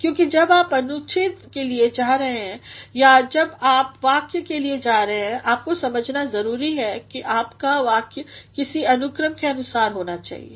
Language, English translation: Hindi, Because when you are going for a paragraph or when you are going for a sentence you need to understand that your sentence should be based on a sort of ordering